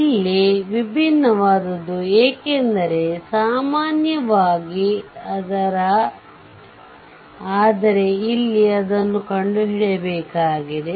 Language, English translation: Kannada, Here, something different, because generally but here it is given you find out